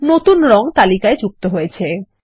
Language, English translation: Bengali, The new color is added to the list